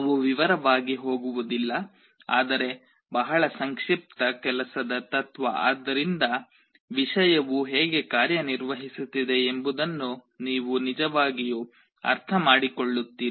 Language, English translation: Kannada, We shall not be going into detail, but very brief working principle so that you actually understand how the thing is working